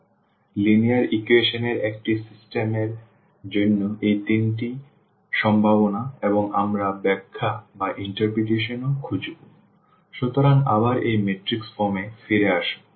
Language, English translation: Bengali, So, these are the 3 possibilities for system of linear equations we will also and we will also look for the interpretation; so again getting back to this matrix form